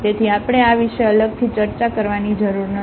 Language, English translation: Gujarati, So, we do not have to discuss this separately